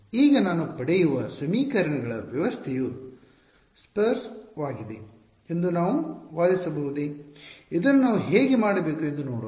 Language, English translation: Kannada, Now, can we argue that the system of equations I get is sparse, let us look at the how should we do this